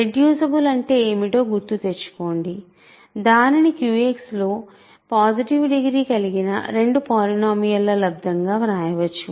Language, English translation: Telugu, Remember, what is the meaning of being reducible that means, it can be written as product of two polynomial of positive degree in Q X